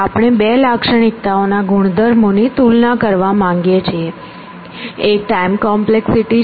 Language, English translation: Gujarati, So, we want to compare properties on two features; one is time complexity